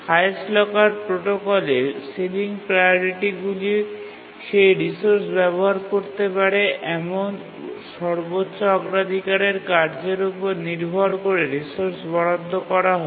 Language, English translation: Bengali, In the highest locker protocol, sealing priorities are assigned to resources depending on what is the highest priority task that may use that resource